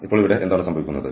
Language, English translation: Malayalam, So, what is happening here